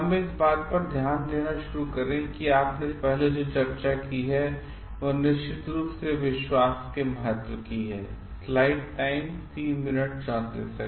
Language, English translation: Hindi, Let us start like in the what you have discussed at the first instant is of course like the importance of trust